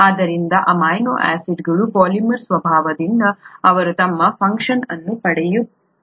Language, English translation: Kannada, So by the very nature of the polymers of amino acids they get their function